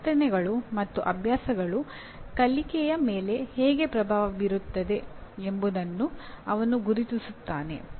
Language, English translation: Kannada, He also recognizes how attitudes and habits influence learning